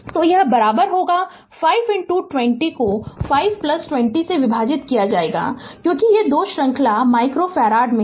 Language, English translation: Hindi, So, it will be equivalent will be 5 into 20 right divided by 5 plus 20 because these 2 are in series micro farad micro farad right